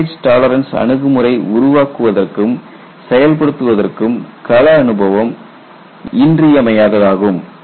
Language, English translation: Tamil, Your field experience it is definitely needed for developing and implementing damage tolerance approach